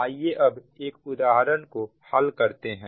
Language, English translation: Hindi, now let us take, yes, an example